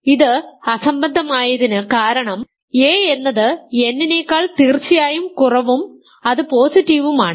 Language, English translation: Malayalam, This absurd because a is strictly less than n and a is of course, positive right